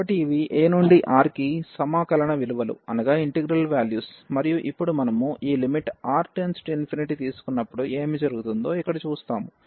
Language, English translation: Telugu, So, these are the integrals integral value for this a to R and now we will see here what will happen to when we take this R to infinity